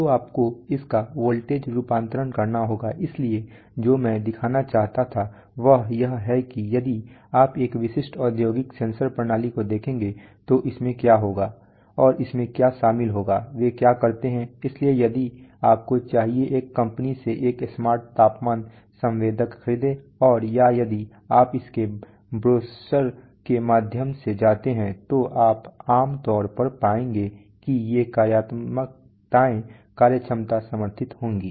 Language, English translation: Hindi, So you have to have voltage conversion of that, so a typical what I wanted to show is that if you come across a typical industrial sensor system then what will it contain and what it will contain, what all do they do, so if you should buy a let us say a smart temperature sensor from a company and or if you go through its brochure then you will typically find that these functionalities, some of these functionality will be supported